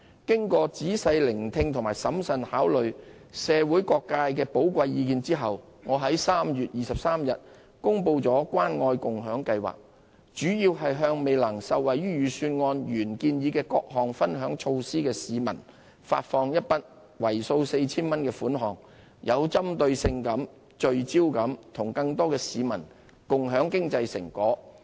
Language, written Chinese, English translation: Cantonese, 經過仔細聆聽和審慎考慮社會各界的寶貴意見後，我在3月23日公布了關愛共享計劃，主要是向未能受惠於預算案原建議的各項分享措施的市民發放一筆為數 4,000 元的款項，有針對性及聚焦地與更多市民共享經濟成果。, After listening closely to and considering carefully the valuable views of various sectors of the community I announced on 23 March the Scheme which mainly seeks to provide those people who failed to benefit from the various sharing measures originally proposed in the Budget with a one - off payment of 4,000 as a way of sharing the fruits of economic success with more people in a targeted and focused manner